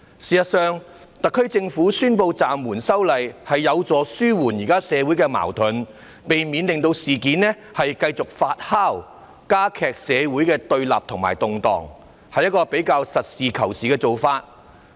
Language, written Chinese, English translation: Cantonese, 事實上，特區政府宣布暫緩修例，是有助紓緩現時的社會矛盾，避免事件繼續發酵和加劇社會的對立與動盪，是一個比較實事求是的做法。, In fact the announcement of the suspension of this amendment exercise by the SAR Government has helped ease the present social conflicts prevented the further fomentation of this incident and the exacerbation of the confrontations and unrests in society so this is quite a pragmatic course of action